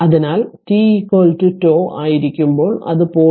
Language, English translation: Malayalam, So, when t is equal to tau, then it is 0